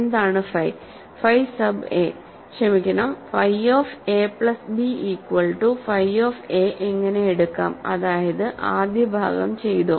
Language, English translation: Malayalam, What is phi of let us take phi sub a sorry phi of a plus b should equal phi of a; so, that is done, the first part is done